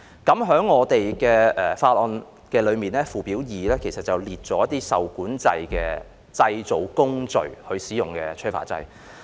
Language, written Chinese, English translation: Cantonese, 《條例草案》附表2載列了受規管製造工序所使用的催化劑。, Schedule 2 of the Bill sets out the catalysts used in regulated manufacturing processes